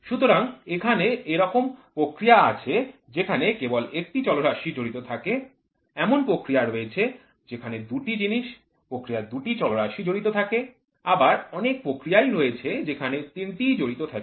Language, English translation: Bengali, So, in there are processes where only one is involved, there are processes where two thing two process variables are involved, there are where are all the three is involved